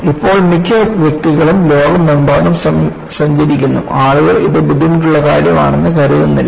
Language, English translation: Malayalam, Now, every other person travels across the globe; people do not even think that it is a difficult task